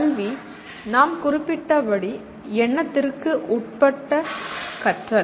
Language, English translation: Tamil, Education as we noted is intentional learning